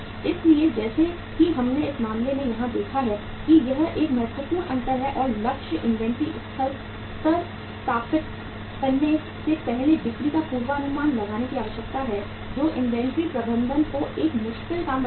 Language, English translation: Hindi, So as we have seen here in this case that this is a critical difference and the necessity of forecasting sales before establishing target inventory levels which makes inventory management a difficult task